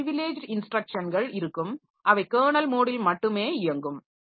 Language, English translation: Tamil, Some instructions designated as privileged instructions are executable only in the kernel mode